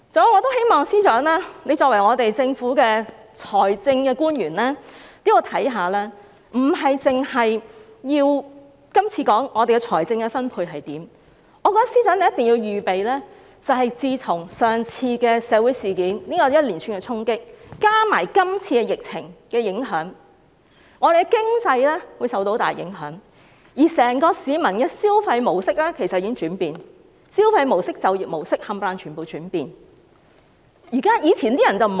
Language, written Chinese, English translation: Cantonese, 還有，作為政府的財政官員，我希望司長考慮的不單是今次的財政分配，我認為司長一定要預備，因為自從上次社會事件造成的連串衝擊，加上今次疫情的影響，本港的經濟會受到很大影響，而市民的整個消費模式其實也在轉變，無論是消費模式或就業模式，全部也在轉變。, Moreover I hope the Financial Secretary being the government official responsible for financial matters will not merely focus on provision allocation this time around . In my view the Financial Secretary must get prepared because the economy of Hong Kong will be hard hit by the series of impact caused by social incidents coupled with the prevailing epidemic . Indeed the consumption mode of people has changed